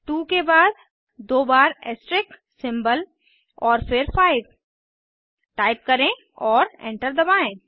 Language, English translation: Hindi, Type 2 followed by the asterisk symbol twice and then 5 and press Enter